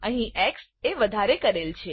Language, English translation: Gujarati, Again x is incremented